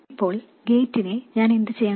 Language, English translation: Malayalam, Now, what should I do about the gate